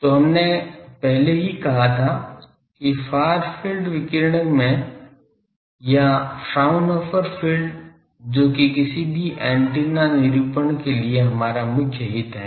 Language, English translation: Hindi, So, far field already we said that in the radiating far field or Fraunhofer zone which is our main interest for any antenna characterization